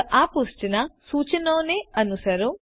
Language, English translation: Gujarati, Just follow the instructions on this page